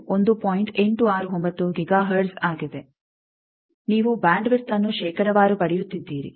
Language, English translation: Kannada, 869 Giga hertz you are getting the bandwidth percentage wise